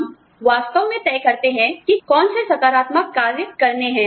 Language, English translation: Hindi, We decide exactly, what affirmative actions, to take